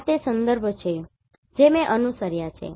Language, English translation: Gujarati, These are the references which I have followed